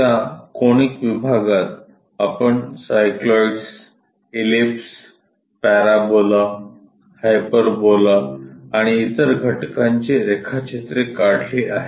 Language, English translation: Marathi, In that conic sections we have covered like drawing cycloids ellipse parabola hyperbola and others